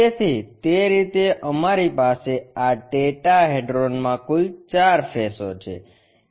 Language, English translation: Gujarati, So, in that way we have this tetrahedron fourth faces